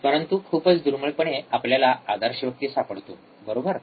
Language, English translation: Marathi, But we rarely find a person who has who is ideal, right